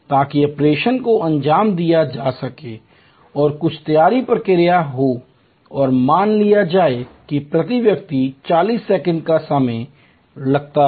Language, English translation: Hindi, So, that the operation can be performed and some preparatory procedure will be there and that suppose takes 40 seconds per person